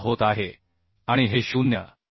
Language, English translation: Marathi, 76 and this should be less than 0